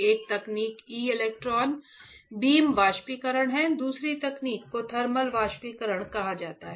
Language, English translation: Hindi, One technique is e electron beam evaporation the second technique is called thermal evaporation alright